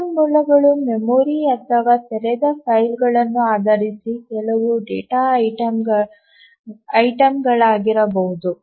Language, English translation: Kannada, Resources can be some data items based in memory, it can be open files, etc